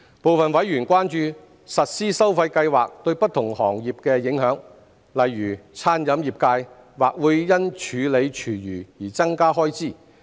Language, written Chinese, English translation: Cantonese, 部分委員關注實施收費計劃對不同行業的影響，例如餐飲業界或會因處理廚餘而增加開支。, Some members have expressed concerns on the implications of the implementation of the charging scheme on various trades . For example the catering trade may have to bear additional costs for handling food waste